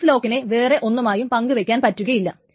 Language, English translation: Malayalam, And finally, X lock cannot be shared with anything